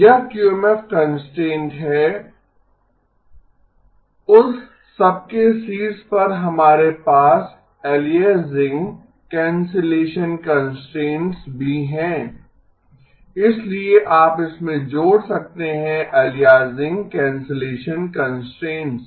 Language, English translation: Hindi, This is the QMF constraint; on top of that we have the aliasing cancellation constraints as well, so you can add to this the aliasing cancellation constraints